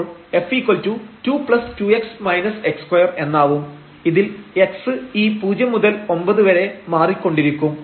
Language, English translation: Malayalam, So, f will be 2 plus 2 x minus x square and x varies from this 0 to 9